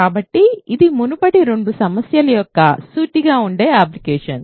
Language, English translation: Telugu, So, this is a straight forward application of the previous two problems